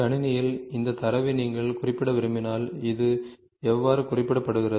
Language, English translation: Tamil, If you want to represent this data in computer this is how it is represented